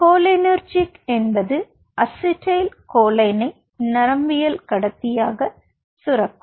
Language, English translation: Tamil, cholinergic are the ones which are secreting acetylcholine are the neurotransmitters